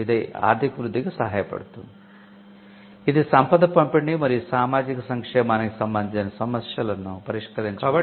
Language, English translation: Telugu, So, it helps economic growth, it also helps addressing concerns with regard to distribution of wealth and as well as social welfare